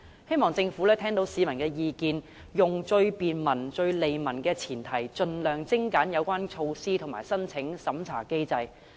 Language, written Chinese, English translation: Cantonese, 希望政府會聆聽市民的意見，以便民、利民為前提，盡量精簡有關措施的申請及審查機制。, I hope the Government will listen to public views and streamline the relevant application and vetting mechanisms for the relevant measure as far as possible on the premise of bringing convenience and benefits to the people